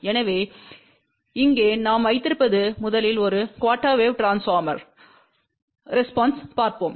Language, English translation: Tamil, So, what we have here let see first the response of a single quarter wave transformer